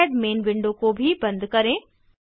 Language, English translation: Hindi, Also close the KiCad main window